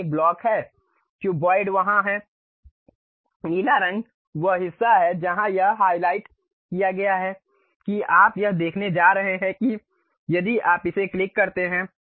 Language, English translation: Hindi, There there is a block the cuboid is there, the blue color is the portion where it is highlighted you are going to see that if you click it